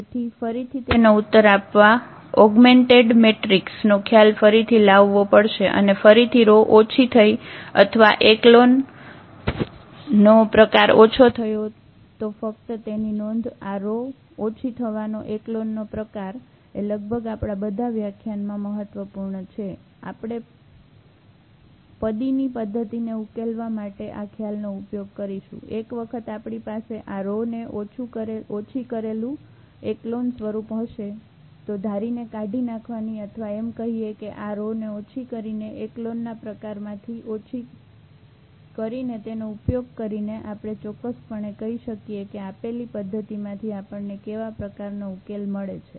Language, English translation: Gujarati, So, to answer this again we have to get back to this the idea of the augmented matrix and the row reduced or echelon form again just note that this row reduced echelon form is very important almost in our lectures we will be utilizing the idea of this solving the system of equations, using gauss elimination or rather saying this reducing to this row reduced echelon form because once we have this row reduced echelon form, we can tell exactly that what type of solution we are getting out of this given system